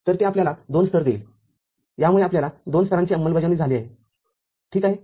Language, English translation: Marathi, So, this would have given you a two level, this would have given you a two level implementation ok